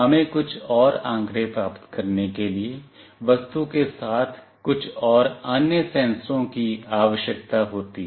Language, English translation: Hindi, We also need some more some more other sensors to be attached to the object to receive some more data